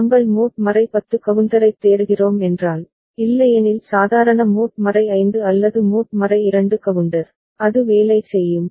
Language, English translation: Tamil, If we are looking for mod 10 counter, otherwise normal mod 5 or mod 2 counter, it will work